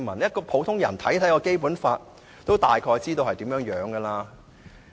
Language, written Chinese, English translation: Cantonese, 即使普通人看《基本法》，也大概看得出來。, Even if an ordinary man examines the Basic Law he will probably see the point too